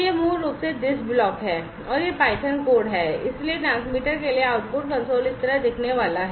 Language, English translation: Hindi, So, this is basically this block and this is the python code and so, output console for the transmitter is going to look like this